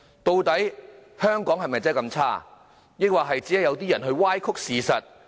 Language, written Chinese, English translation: Cantonese, 究竟香港是否真的這麼差，抑或只是有人歪曲事實？, Is Hong Kong really so bad or do people simply distort the truths?